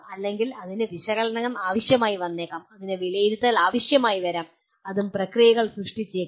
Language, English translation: Malayalam, Or it may require analysis, it may require evaluate and it may and create processes